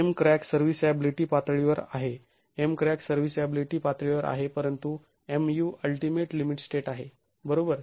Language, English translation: Marathi, M crack is at a serviceability level, M crack is at a serviceability level, but MU is ultimate limit state